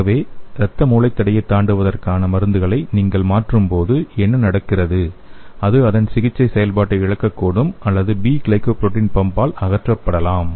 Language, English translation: Tamil, Okay so when you modify the drugs for crossing the blood brain barrier, what happens is, it may lose its therapeutic activity or it may be removed by the P glycoprotein pump